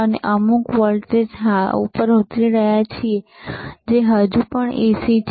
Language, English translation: Gujarati, We are stepping down to some voltage, and thenwhich is still AC